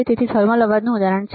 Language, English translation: Gujarati, So, this is an example of thermal noise